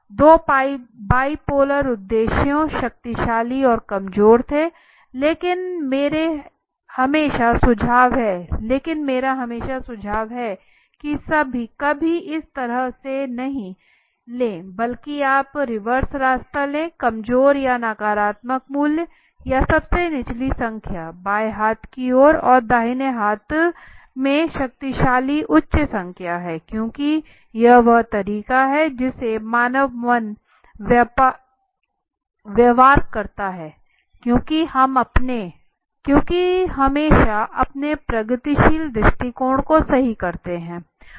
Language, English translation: Hindi, So next is the semantic differential is one were the two bipolar objectives powerful weak but I would always suggest please never take the this way rather you take the reverse way keep the weak or the negative value or the lowest value on the left hand side and the powerful value at the right hand side the higher number because it is the way that human mind behave because we always tend to our progressive attitude right